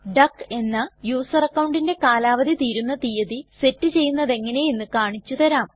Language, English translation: Malayalam, Let me show you how to set a date of expiry for the user account duck